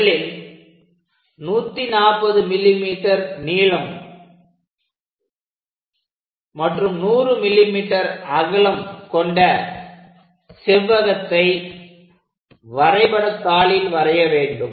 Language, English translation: Tamil, First of all, we have to draw 140 mm by 100 mm rectangle on the sheet